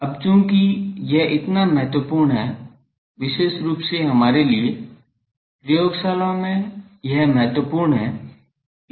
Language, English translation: Hindi, Now, since it is so, important particularly for us, we in laboratories this is important